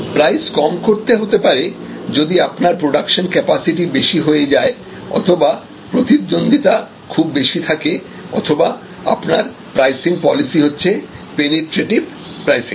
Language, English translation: Bengali, Price cut can be initiated due to excess capacity or competition or your pricing policy for penetrative pricing